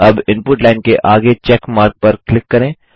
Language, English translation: Hindi, Now click on the check mark next to the Input line